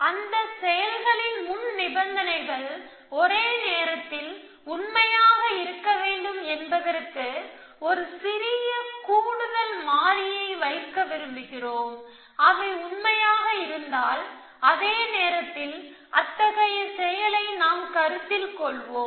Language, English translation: Tamil, We want to put a slight additional constant that the preconditions of those actions must be possibly true at the same time if they are possibly true, at the same time we will consider such an action